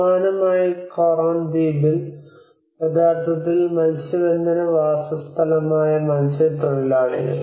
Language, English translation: Malayalam, Whereas similarly in the Coron island which is actually the fishing settlement, fishermen settlements